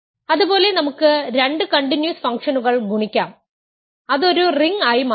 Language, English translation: Malayalam, Similarly, we can multiply two continuous functions and it turns out to be a ring